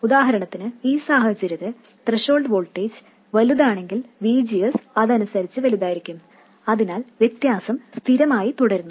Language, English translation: Malayalam, For instance in this case if the threshold voltage is larger, VGS would be correspondingly larger, so this difference remains constant